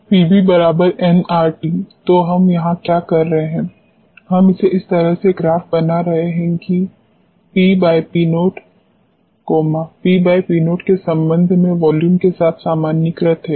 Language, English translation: Hindi, So, here what we are doing is we are plotting this in such way that P upon P naught is normalized with the volume with respect to P by P naught